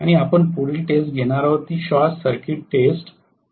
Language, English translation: Marathi, The next test that we are going to conduct is the short circuit test, yes